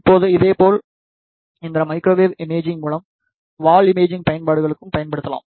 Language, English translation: Tamil, Now, similarly this microwave imaging can be used for the through wall imaging applications